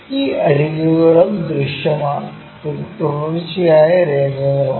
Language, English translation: Malayalam, These edges are also visible that is a reason these are continuous lines